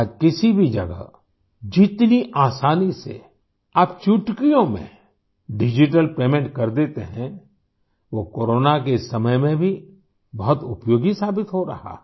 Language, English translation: Hindi, Today, you can make digital payments with absolute ease at any place; it is proving very useful even in this time of Corona